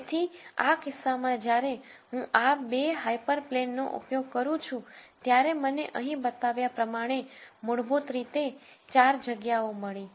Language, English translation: Gujarati, So, in this case when I use this 2 hyper planes I got basically 4 spaces as I show here